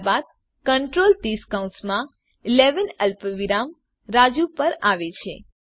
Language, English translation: Gujarati, Then the control comes to this within brackets 11 comma Raju